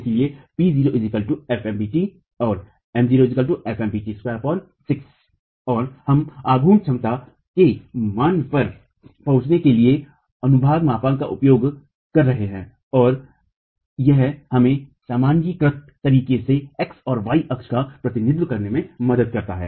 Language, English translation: Hindi, So we are making use of the section modulus to arrive at the value of moment capacity and it helps us represent the x and y axis in a normalized manner